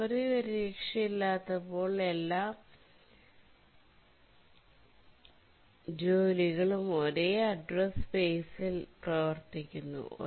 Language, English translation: Malayalam, When we don't have memory protection, all tasks operate on the same address space